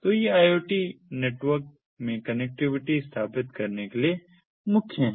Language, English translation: Hindi, so these are the core for establishing connectivity in iot networks